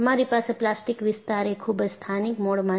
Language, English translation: Gujarati, You have plastic zone that is very highly localized